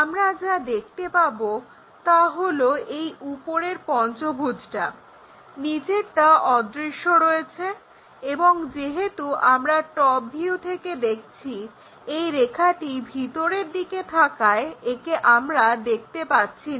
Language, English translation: Bengali, What we will see is the top pentagon; bottom one is anyway invisible and the line because we are looking from top view this line goes inside of that